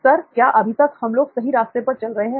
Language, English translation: Hindi, Sir are we on the right track till now